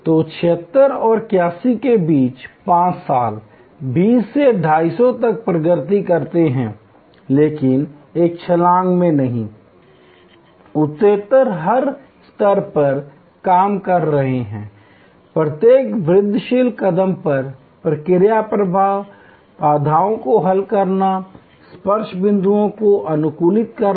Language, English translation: Hindi, So, between 76 and 81, 5 years progress from 20 to 250, but not in one jump progressively, working out at every level, at every incremental step, the process flow the solving of the bottle neck points optimizing the touch points